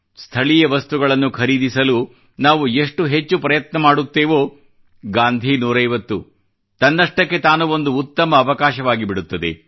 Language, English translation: Kannada, The more we try to buy our local things; the 'Gandhi 150' will become a great event in itself